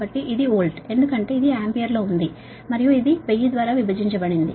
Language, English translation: Telugu, so thats why this is volt, because this is in ampere and this is divided by thousand